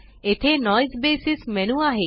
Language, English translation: Marathi, Here is the Noise basis menu